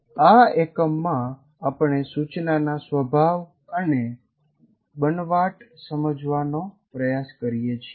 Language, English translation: Gujarati, But in this unit, we try to understand the nature and constructs of instruction